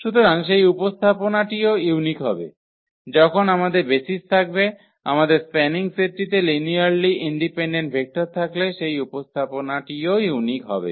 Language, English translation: Bengali, So, that representation will be also unique whenever we have the basis our spanning set is having linearly independent vectors than the representation will be also unique